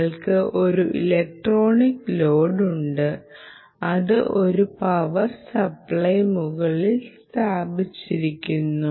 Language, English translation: Malayalam, you have a current ah electronic load which is placed on top of a power supply